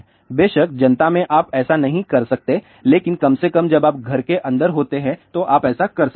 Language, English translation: Hindi, Of course, in the public you cannot do that, but at least when you are inside the home you can do that